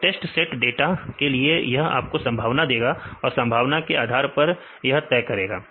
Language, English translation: Hindi, For test set data it will give you the probability and based of probability it will decide